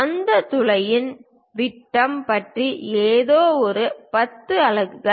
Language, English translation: Tamil, Something about diameter of that hole perhaps this one is that 10 units